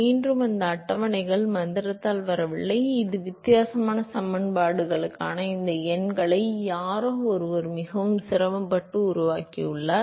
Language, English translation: Tamil, Again these tables did not come by magic somebody has actually painstakingly worked out all these numbers for this differentially equations